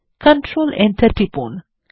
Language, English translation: Bengali, Press Control Enter